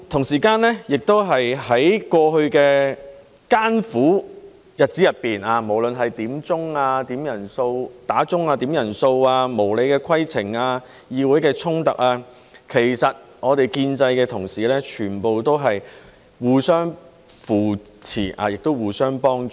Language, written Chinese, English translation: Cantonese, 此外，在過去的艱苦日子中，無論面對響鐘、點人數、無理的規程問題、議會的衝突，其實我們建制派的同事全部都是互相扶持，亦互相幫助。, Moreover during the tough days in the past we faced various situations such as bell rings headcounts unreasonable points of order and confrontations in the Chamber but whatever the case might be all of us in the pro - establishment camp would in fact support and help each other